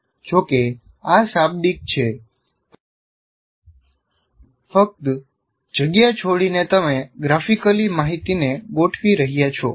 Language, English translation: Gujarati, Though this is text, but by just indentation you are graphically organizing the information